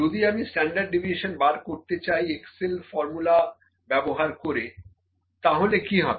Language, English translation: Bengali, 02, what if I calculate standard deviation, if I have try to find standard deviation using the Excel formula